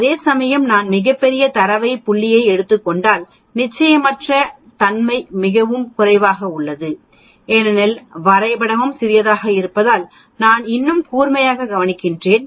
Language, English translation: Tamil, Whereas, if I take very large data point the uncertainty is much less because the graph also looks smaller I mean more sharper, so the area also is much less